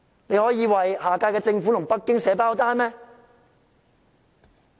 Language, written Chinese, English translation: Cantonese, 你們可以為下屆政府和北京"寫包單"嗎？, Can you write a warranty for the next - term Government and Beijing?